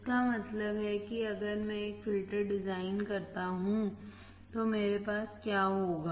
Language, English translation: Hindi, That means, that if I design a filter then what will I have